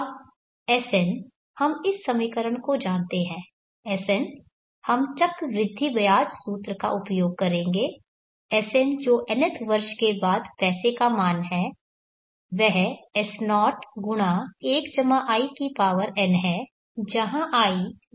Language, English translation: Hindi, Now Sn we know this equation Sn we will use the compound interest formula Sn that is the value of the money after the nth year is S0(1+In) where I is the rate of interest